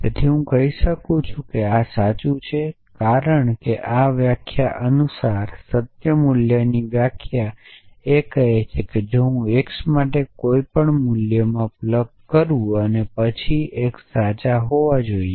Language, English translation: Gujarati, So, I can say that this is not fall this is not true, because the definition of the truth value according to this definition it says that for I plug in any value of for x and then even x must be true